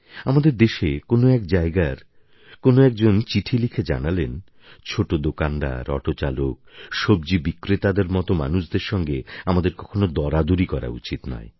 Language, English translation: Bengali, Sometimes people who write in from different corners of the country say, "We should not haggle beyond limits with marginal shopkeepers, auto drivers, vegetable sellers et al"